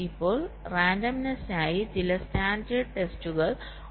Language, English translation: Malayalam, now there are some standard test for randomness